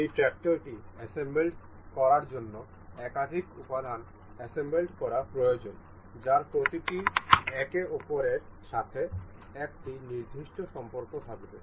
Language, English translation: Bengali, Assembling this tractor requires multiple components to be gathered each other each each of which shall have a particular relation with each other